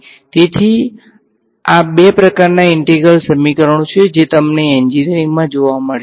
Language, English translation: Gujarati, So, these are the two kinds of integral equations that you will come across in the engineering literature right